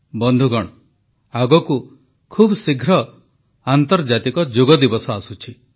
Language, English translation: Odia, 'International Yoga Day' is arriving soon